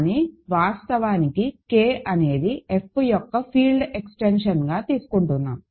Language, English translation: Telugu, So, actually let K be a field extension of F